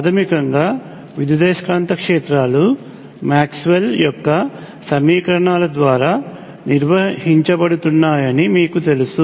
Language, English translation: Telugu, Now, all of you will know some basics of electromagnetic you know that basically the electromagnetic fields are governed by Maxwell’s equations